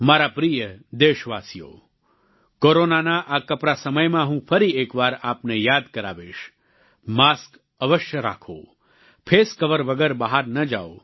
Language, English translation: Gujarati, My dear countrymen, in this Corona timeperiod, I would once again remind you Always wear a mask and do not venture out without a face shield